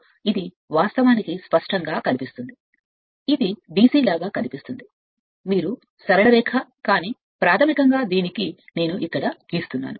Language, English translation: Telugu, Then this is actually apparently it will be apparently looks like a DC, you are straight line, but basically it will have a I am drawing it here